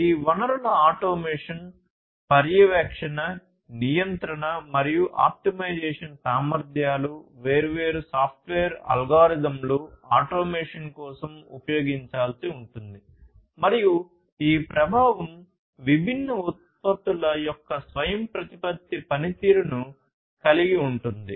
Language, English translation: Telugu, Automation; automation of these resources, monitoring, control, and optimization capabilities, different software algorithms will have to be used for the automation, and the effect is having autonomous performance of these different products